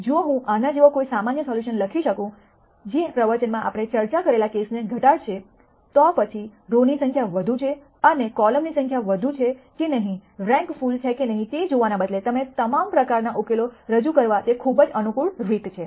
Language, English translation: Gujarati, If I can write one general solution like this which will reduce to the cases that we discussed in this lecture, then that is a very convenient way of representing all kinds of solutions instead of looking at whether the number of rows are more, number of columns are more, is rank full and so on